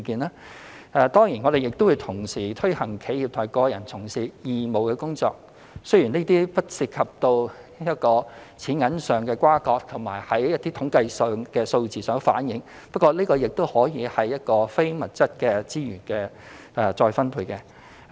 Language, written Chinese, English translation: Cantonese, 當然，我們亦同時推動企業及個人從事義務工作，雖然這些不涉及金錢上的關係及不為統計數字所反映，不過這亦可算是非物質的資源再分配。, In the meantime of course we also promote volunteerism at both corporate and individual levels . Not involving any monetary relationship nor being reflected in the statistics though this may also be deemed intangible redistribution of resources